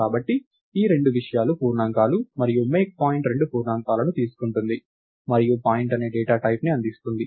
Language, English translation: Telugu, So, these these two things are integers and MakePoint takes two integers and returns a data type called point